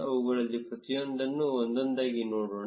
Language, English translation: Kannada, Let us look at each one of them one by one